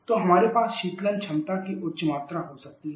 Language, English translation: Hindi, So, we can help higher amount of cooling capacity